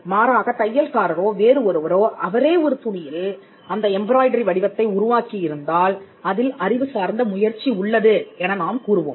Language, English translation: Tamil, Whereas the tailor who did it, or the person who actually embroidered a piece of design on a cloth, we would say that that involved an intellectual effort